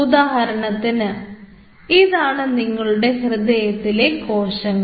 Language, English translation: Malayalam, for example, these are your heart cells